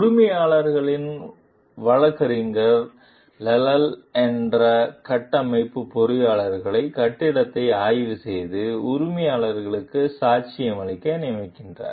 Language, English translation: Tamil, The owner s attorney hires Lyle, a structural engineer, to inspect the building and testify for the owner